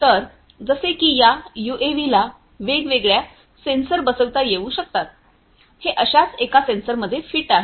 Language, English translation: Marathi, So, like this UAV could be fitted with different sensors, this is one such sensor to which it is fitted